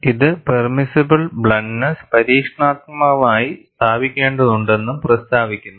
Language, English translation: Malayalam, And this also states that, permissible bluntness needs to be established experimentally